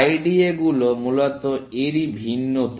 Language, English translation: Bengali, IDAs are basically variation of this